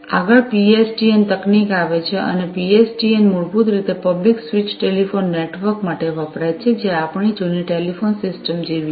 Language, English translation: Gujarati, Next, comes the PSTN technology and PSTN basically stands for Public Switched Telephone Network, which is like our old telephone systems